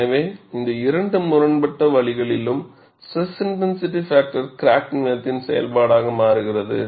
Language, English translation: Tamil, So, in both these conflicting waves the S I F changes as a function of crack length